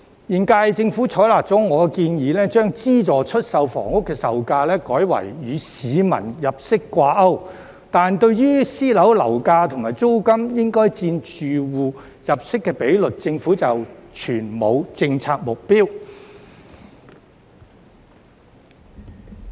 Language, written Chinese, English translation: Cantonese, 現屆政府採納了我的建議，將資助出售房屋的售價改為與市民入息掛鈎，但對於私樓樓價及租金應佔住戶入息的比率，政府則全無政策目標。, The current Government has adopted my proposal to link the sale price of subsidized housing to peoples income but it has not formulated any policy target on the ratio of private property prices and rents to household income